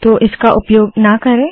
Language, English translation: Hindi, So do not use this